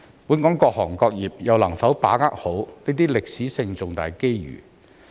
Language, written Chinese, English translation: Cantonese, 本港各行各業又能否把握好這些歷史性重大機遇？, Can various industries and sectors of Hong Kong seize these major historic opportunities?